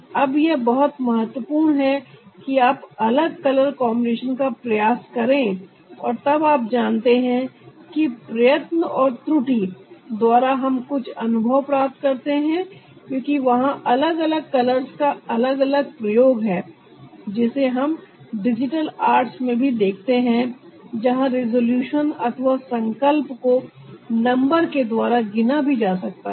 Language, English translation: Hindi, now this is very important, that you try out living color combinations and then you know by also see the by trial and error, we can gain some experience because there are different uses of color that we see in digital also, so where the resolution can be counted by numbers